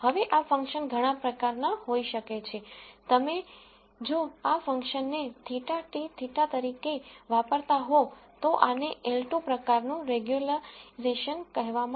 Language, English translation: Gujarati, Now this function could be of many types if you use this function to be theta transpose theta, then this is called L 2 type regularization